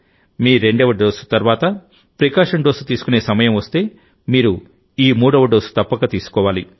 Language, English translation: Telugu, If it is time for a precaution dose after your second dose, then you must take this third dose